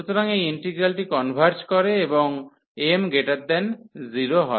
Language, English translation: Bengali, So, this is this integral converges, and m greater than 0